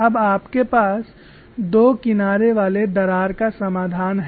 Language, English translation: Hindi, Now we will look at the calculation for a double edge crack